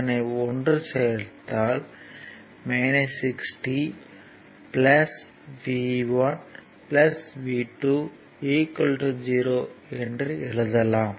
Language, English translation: Tamil, So, minus 40 plus v 1 minus v 2 is equal to 0